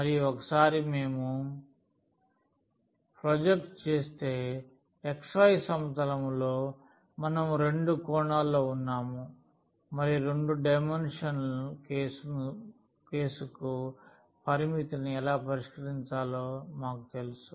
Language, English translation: Telugu, And, once we project to the xy plane we are in the 2 dimensions and we know how to fix the limit for 2 dimensional case